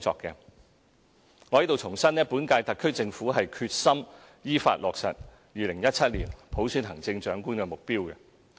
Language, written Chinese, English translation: Cantonese, 我在此重申本屆特區政府是決心依法落實2017年普選行政長官的目標。, Here let me reiterate the determination of the current - term SAR Government to achieve the objective of selecting the Chief Executive by universal suffrage in compliance with law in 2017